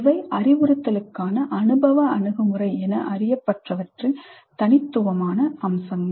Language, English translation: Tamil, So these are some of the distinguishing features of what has come to be known as experiential approach to instruction